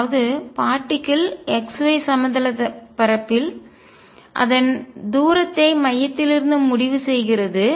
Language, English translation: Tamil, So, particle is moving in x y plane with its distance fixed from the centre